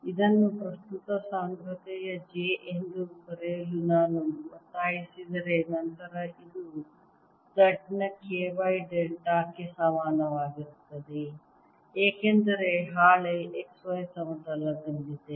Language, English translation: Kannada, if i insist on writing this as the current density j, that this will be equal to k y delta of z, because sheet is in the x y plane